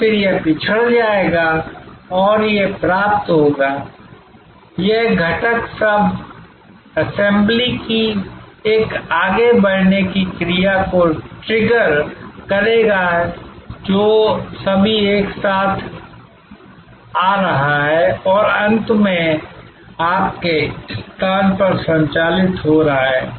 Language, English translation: Hindi, And then, it will go backward and it will fetch, it will trigger a forward moving action of component sub assemblies all coming together and finally, getting delivered installed operated at your place